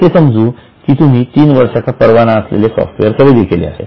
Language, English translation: Marathi, So, suppose you have got software, you have purchased software and the license is for three years